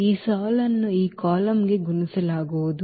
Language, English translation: Kannada, This row will be multiplied to this column